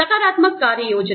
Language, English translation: Hindi, Affirmative action plans